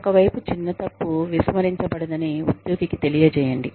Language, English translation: Telugu, Let the employee know, that minor misconduct, on the one hand, will not be ignored